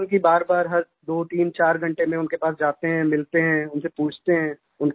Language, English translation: Hindi, So that's why we visit them repeatedly after intervals of twothreefour hours, we meet them, ask about their wellbeing